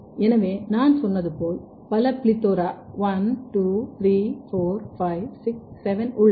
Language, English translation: Tamil, So, as I said there are multiple PLETHORA 1, 2, 3, 4, 5, 6, 7 and then what it has been done